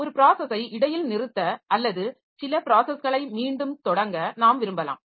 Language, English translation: Tamil, Then we may want to suspend a process or resume some process